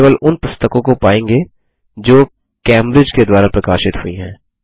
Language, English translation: Hindi, We will retrieve only those books published by Cambridge